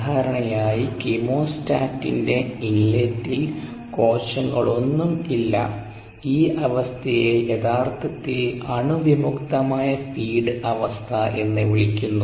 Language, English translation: Malayalam, usually there are no cells that are present in the inlet of ah, the chemostat, and this condition is actually called a sterile feed condition